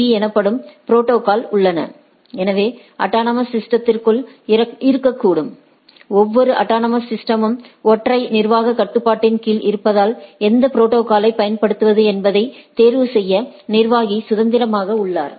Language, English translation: Tamil, Inside the autonomous system there are protocols called OSPF and RIP which can be within the autonomous system, as each autonomous system under single administrative control so, the administrator is free to choose which protocol to use right